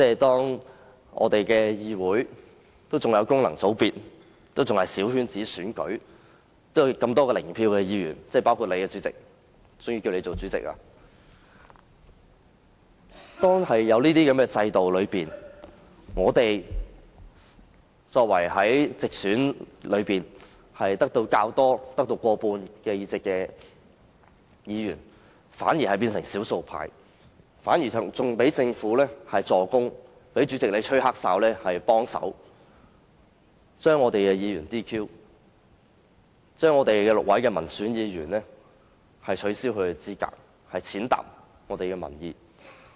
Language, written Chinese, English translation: Cantonese, 當議會內有功能界別和小圈子選舉，還有多位"零票議員"——包括主席閣下，所以由你擔當主席——在這樣的制度下，我們這些獲得過半直選議席的議員反而變成少數派，更在政府助攻及主席幫忙吹"黑哨"的情況下，取消了6位民選議員的資格，踐踏民意。, In this Council there are Members returning from functional constituencies and small - circle elections and a number of them are zero vote Members―including the President and this is why you were elected the President . Under such a system Members like us become the minority though we have won more than half of the directly elected seats . Worse still with the help of the Government and the President who is a corrupt referee six elected Members were disqualified from holding office which is an act of trampling on public opinion